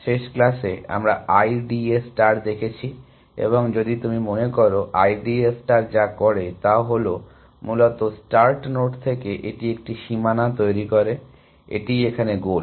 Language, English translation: Bengali, In the last class we saw I D A star and if you recall, what I D A star does is that, essentially from the start node, it creates a boundary, this is the goal